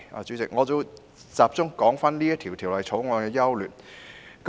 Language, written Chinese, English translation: Cantonese, 主席，我會集中說《條例草案》的優劣。, President I will focus on talking about the merits of the Bill